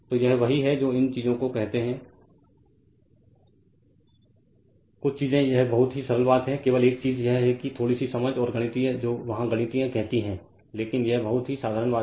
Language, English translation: Hindi, So,so, this are your what you call these are the things certain things it is very simple thing only thing is that that little bit of understanding and mathematical your what you callmathematical exercise there, but these are the very simple thing right